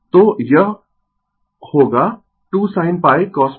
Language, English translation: Hindi, So, it will be 2 sin theta cos theta